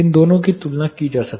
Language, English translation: Hindi, This two can be compared